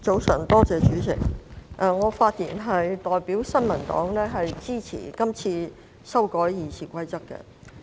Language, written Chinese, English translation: Cantonese, 我是次發言是代表新民黨支持修改《議事規則》的建議。, I speak on behalf of the New Peoples Party to indicate our support for the proposal to amend the Rules of Procedure